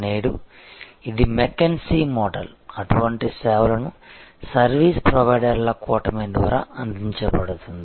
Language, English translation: Telugu, Today, this is the mckinsey model such services are provided by a constellation of service providers